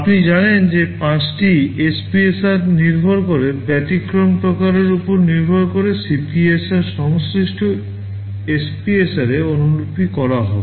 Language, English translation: Bengali, You know there are 5 SPSRs depending on the type of exception CPSR will be copied to the corresponding SPSR